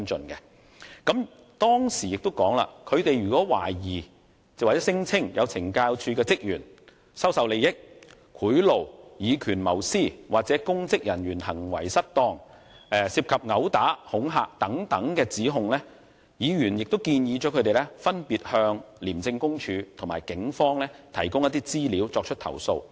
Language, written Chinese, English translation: Cantonese, 議員在會面時亦表示，如果團體代表懷疑或聲稱有懲教署職員收受利益、接受賄賂、以權謀私、干犯公職人員行為失當、涉及毆打、恐嚇等指控，他們應分別向廉政公署及警方提供資料，作出舉報。, Members also said at the meeting that if the deputation suspected or claimed that CSD staff had received advantages taken bribes abused power for personal gains committed offence of misconduct in public office or involved in such accusations as assault and intimidation the deputation should report with information to the Independent Commission Against Corruption ICAC and the Police Force respectively